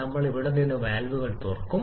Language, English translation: Malayalam, We will open the valves from here